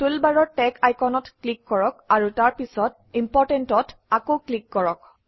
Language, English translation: Assamese, From the toolbar, click the Tag icon and click Important again